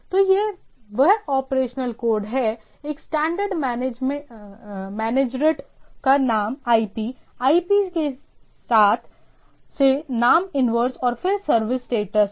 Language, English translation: Hindi, So, that is the operational code it is a standard manager is name to IP, IP to name is inverse and then service status